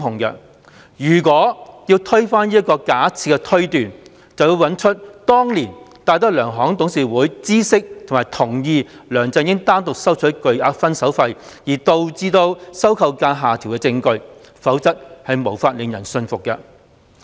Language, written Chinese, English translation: Cantonese, 如果要推翻這個假設推斷，便要找出當年戴德梁行董事會知悉及同意梁振英單獨收取巨額"分手費"而導致收購價下調的證據，否則無法令人信服。, If one wants to overturn this assumption and inference one must find evidence showing that the DTZ board knew and approved LEUNG Chun - yings acceptance of this substantial parting fee himself and the resultant downward adjustment of the purchase price or else one can hardly convince others . The point is very simple